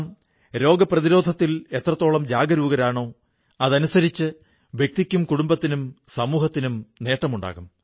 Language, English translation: Malayalam, And, the more we become aware about preventive health care, the more beneficial will it be for the individuals, the family and the society